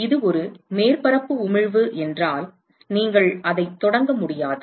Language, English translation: Tamil, If it is a surface emission you cannot do that to start with